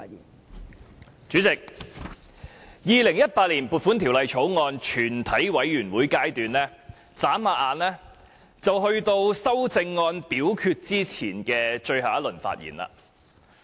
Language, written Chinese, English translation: Cantonese, 代理主席，《2018年撥款條例草案》全體委員會審議階段轉眼便到了就修正案進行表決前的最後一輪發言。, Deputy Chairman in the blink of an eye we are now in the last round of debate in the Committee stage to consider the Appropriation Bill 2018 before proceeding to vote on the amendments